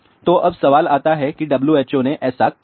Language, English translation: Hindi, So, now, the question comes why WHO did that